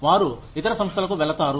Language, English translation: Telugu, They go to other organizations